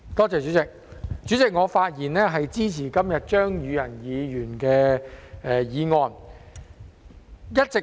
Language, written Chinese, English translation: Cantonese, 主席，我發言支持張宇人議員的議案。, President I rise to speak in support of Mr Tommy CHEUNGs motion